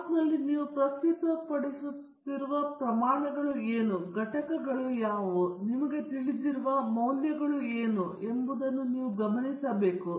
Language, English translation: Kannada, In a graph, you should pay attention to what are the quantities you are presenting, what are the units, what are the, you know, values that they have